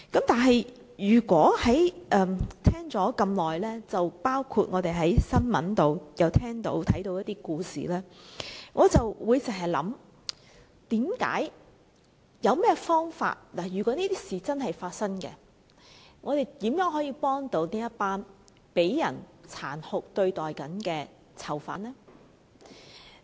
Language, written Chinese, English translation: Cantonese, 但是，我聽了很久，又曾在新聞報道看到一些故事，我心想有何方法處理，如果真有其事，我們如何幫助這群正被人殘酷對待的囚犯？, But then after listening to Members for long and having read the stories in media reports I wonder how we can deal with this? . If the allegations are true how can we help the prisoners being treated cruelly?